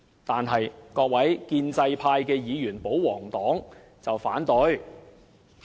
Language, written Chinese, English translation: Cantonese, 但是，各位建制派議員，保皇黨卻提出反對。, But the pro - establishment Members and royalists still say no to them